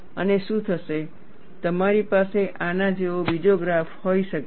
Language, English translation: Gujarati, And you could have a graph something like this